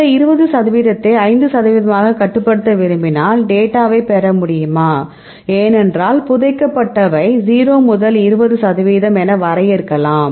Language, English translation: Tamil, If you want to restrict this 20 percent as 5 percent what will you do, can we get it get the data because here the buried we define as to 0 to 20 percent